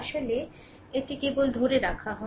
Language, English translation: Bengali, Actually, it is just hold on